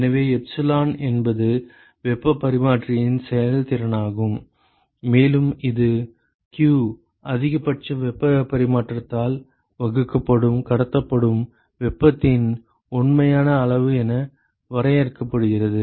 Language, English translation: Tamil, So, epsilon is the effectiveness of the heat exchanger, and that is simply defined as the actual amount of heat that is transported which is q divided by the maximum possible heat transfer